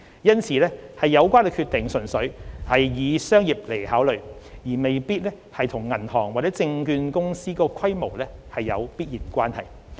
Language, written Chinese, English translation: Cantonese, 因此有關決定純粹以商業為考量，而未必與銀行或券商的規模有必然關係。, The relevant decision is therefore purely based on commercial considerations and does not necessarily relate to the scale of the banks or the brokerage firms